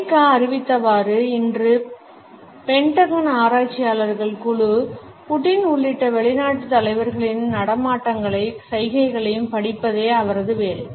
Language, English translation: Tamil, Today, the group of Pentagon researchers his job is to study the movements and gestures of foreign leaders including Putin